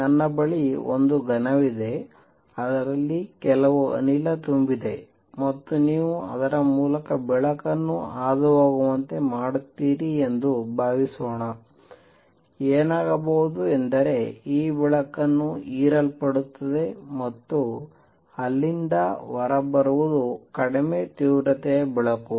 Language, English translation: Kannada, Suppose I have a cube in which some gas is filled and you pass light through it; what would happen is this light will be get absorbed and what comes out will be light of lower intensity